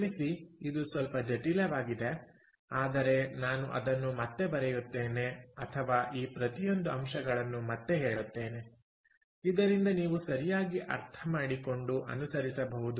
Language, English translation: Kannada, ok, so i am sorry this is a little complicated, but let me again write it down, or let me again spell out each of these terms so that you can follow